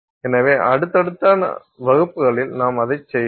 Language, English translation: Tamil, So, those we will do in our subsequent classes